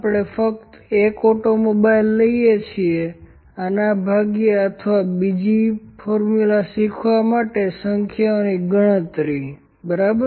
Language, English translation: Gujarati, We are just taking one automobile this divided by or even just learning another formula here count of these numbers, ok